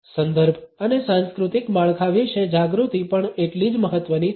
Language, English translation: Gujarati, Awareness about context and cultural frameworks is equally important